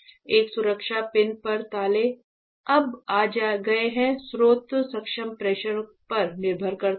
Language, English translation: Hindi, So, on a safety pin locks have come on now source enable is depending on the pressure